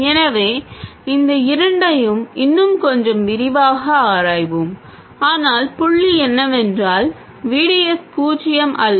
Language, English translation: Tamil, So let's examine these two in a little more detail but the point is that GDS is not zero